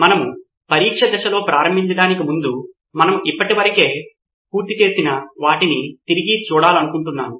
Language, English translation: Telugu, But before we begin on the test phase, I would like to recap what we have covered so far